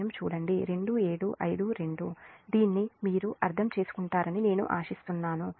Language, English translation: Telugu, i hope you will understand this